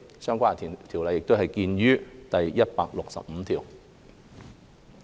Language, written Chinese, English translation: Cantonese, 相關修訂見於第165條。, Please see clause 165 for the relevant amendments